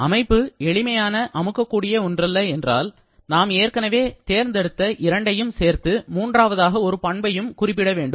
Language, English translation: Tamil, And if your system is not a simple compressible one, then we have to specify a third property along with the two which we have already selected